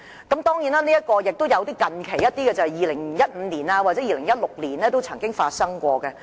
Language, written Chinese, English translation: Cantonese, 當然，也有一些近期在2015年或2016年的例子。, Of course there are also other more recent cases in 2015 and 2016